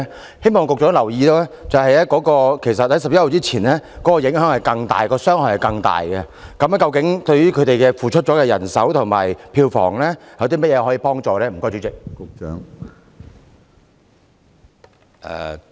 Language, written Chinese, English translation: Cantonese, 我希望局長留意，在10月1日前受影響的藝團承受的傷害其實更大，對於他們付出的人手和票房損失，當局會提供甚麼幫助？, I hope to draw the Secretarys attention to the fact that arts groups affected before 1 October had actually suffered even more losses . What assistance will the authorities offer to them in respect of the manpower resources that they have deployed and the box office income foregone?